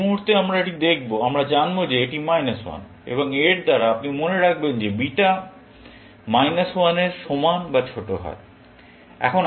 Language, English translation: Bengali, The moment we see this, we know that this is minus 1, and by this, you remember that beta is less than equal to minus 1